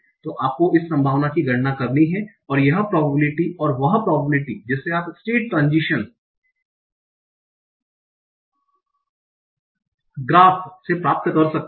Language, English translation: Hindi, Now, so you have to compute this probability and this probability and that you can obtain from the state transition graph